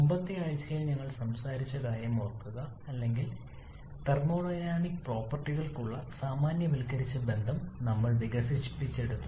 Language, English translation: Malayalam, Remember in the previous week we talked about or we develop the generalized relation for thermodynamic properties but as I mentioned during the previous lecture there are several situations